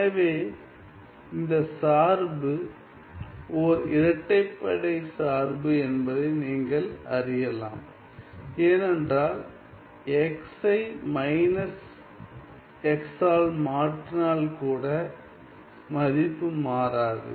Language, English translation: Tamil, So, then you see that this function is an even function, because if I replace x by minus x, the value does not change